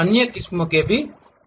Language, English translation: Hindi, There are other varieties also